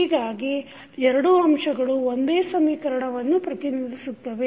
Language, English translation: Kannada, So, both figures are representing the same equation